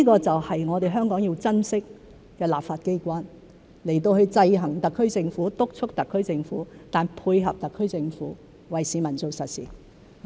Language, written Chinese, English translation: Cantonese, 這正是我們香港要珍惜的，立法機關制衡特區政府、督促特區政府，但配合特區政府，為市民做實事。, This is precisely what Hong Kong should cherish . The legislature while exercising checks and balances on the SAR Government and monitoring the SAR Government should also work in collaboration with the SAR Government in order to do real work for the people